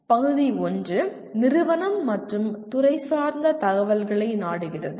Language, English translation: Tamil, Part 1 seeks institutional and departmental information